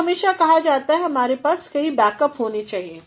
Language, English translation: Hindi, So, it is always suggested that one should have several backups